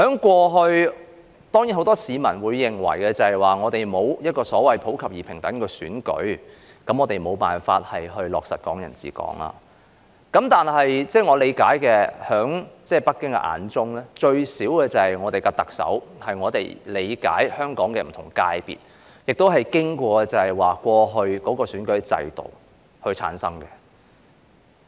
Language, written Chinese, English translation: Cantonese, 過去，當然很多市民均認為香港沒有所謂普及而平等的選舉，我們無法落實"港人治港"，但據我理解，在北京眼中，至少特首是從香港的不同界別，經過以往的選舉制度而產生的。, In the past of course many people thought that Hong Kong did not have universal and equal elections so to speak . We were unable to realize Hong Kong people administering Hong Kong . Yet I understand that in the eyes of Beijing at least the Chief Executive was selected from different sectors in Hong Kong through the previous electoral system